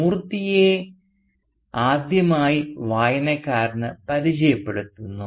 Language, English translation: Malayalam, And Moorthy is introduced to the reader for the first time